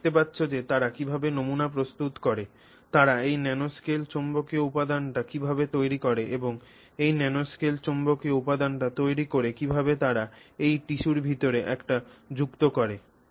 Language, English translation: Bengali, You can see how they prepare samples, how they create this nanoscale magnetic material and having created this nanoscale magnetic material, how do they incorporate it inside that tissue